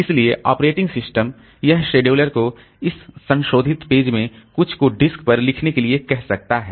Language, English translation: Hindi, So, operating system it can tell the disk scheduler to write some of this modified pages to the disk